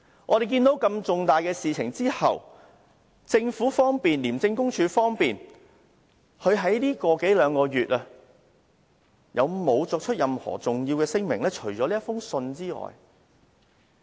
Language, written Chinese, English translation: Cantonese, 在如此重大的事情發生後，除了給我們的這封覆函外，政府和廉署在近一兩個月曾否作出重要聲明呢？, In the wake of such a major incident have the Government and ICAC made any important statement in the last one or two months apart from giving us this reply letter?